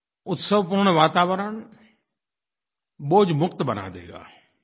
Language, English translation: Hindi, The festive atmosphere will lead to a burdenfree environment